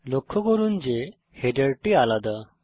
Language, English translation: Bengali, Notice that the header is different